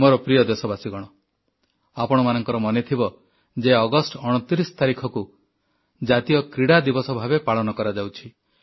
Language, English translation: Odia, My dear countrymen, all of you will remember that the 29th of August is celebrated as 'National Sports Day'